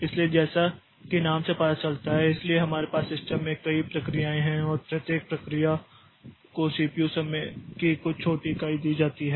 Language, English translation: Hindi, So, as the name suggests, so there are a number of processes that we have in the system and each process is given some small unit of CPU time